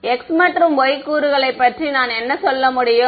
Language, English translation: Tamil, What about the x and y components, what can I say